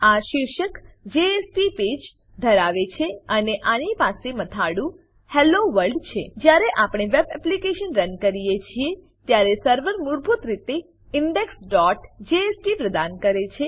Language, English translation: Gujarati, It has the title JSP Page and it has the heading Hello World The server provides index.jsp by default when we run the web application